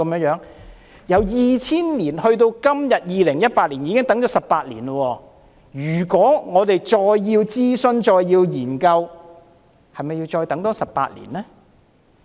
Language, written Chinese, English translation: Cantonese, 由2000年到2018年已經等了18年，如果我們還要再等諮詢和研究，那是否代表我們要再等18年呢？, From 2000 to 2018 we have been waiting for 18 years . If we still have to wait until consultation and studies have been conducted does it mean that we have to wait for another 18 years?